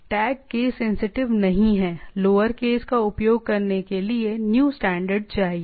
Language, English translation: Hindi, Tags are not case sensitive, new standard to use lower cases right